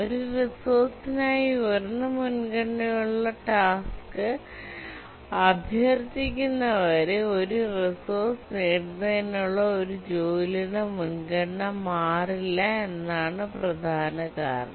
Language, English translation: Malayalam, The main reason is that the priority of a task on acquiring a resource does not change until a higher priority task requests the resource